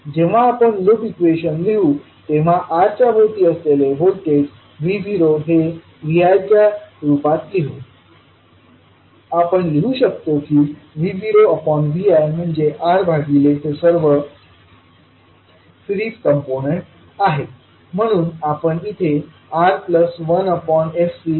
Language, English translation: Marathi, So when we write the the loop equation and rearrange the voltage V naught is across R as in terms of Vi, we can write V naught by Vi is nothing but R because voltage across R divided by all 3 series components